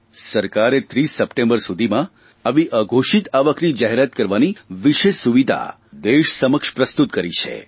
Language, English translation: Gujarati, The government has presented before the country a special facility to disclose undisclosed income by the 30th of September